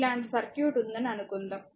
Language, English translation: Telugu, Ah Suppose you have a circuit like this